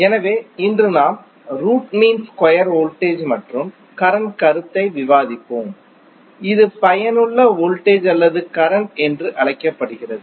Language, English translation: Tamil, So today we will discuss the concept of root mean square voltage and current which is also called as effective voltage or current